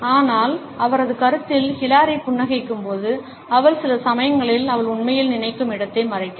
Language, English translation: Tamil, But in her opinion, when Hillary smiles she sometimes covering up where she is really thinking